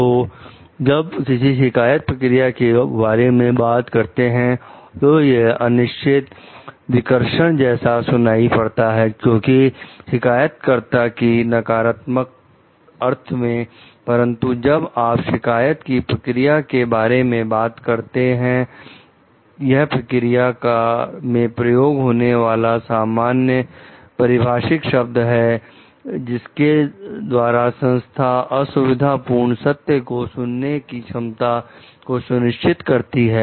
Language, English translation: Hindi, So, when you are talking of complaint procedures; so, it may sound vaguely repellent because of the negative connotation of the term complainer, but like when you are talking of complaint procedure, it is a general term for the procedures by which organizations ensure the ability to hear inconvenient truths